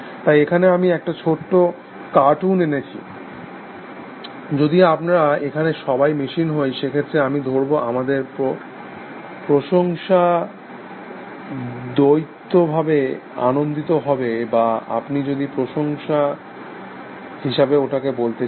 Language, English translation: Bengali, So, here small cartoon I got from, so our, if we were machines yes then, I suppose our admiration would be mutual happy or if you want to call as admiration